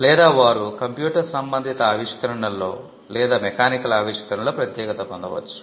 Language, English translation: Telugu, Or they could be specialized in computer related inventions or in mechanical inventions